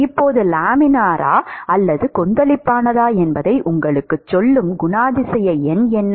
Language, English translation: Tamil, So now, what is the characterizing number which tells you whether it is Laminar or Turbulent